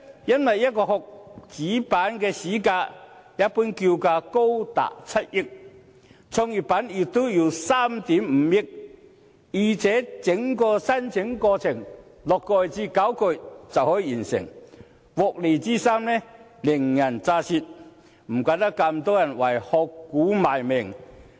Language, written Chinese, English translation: Cantonese, 因為一個殼，主板市價一般叫價高達7億元，創業板也要3億 5,000 萬元，再者，整個申請過程只需6個月至9個月便可完成，獲利之深，令人咋舌，難怪這麼多人為"殼股"賣命。, Simply because the price of a shell company is generally as much as 700 million on the Main Board but only 350 million on GEM . Besides the entire application process takes only six to nine months to complete . The profit is thus very huge so it is small wonder that many people are so devoted to shell stocks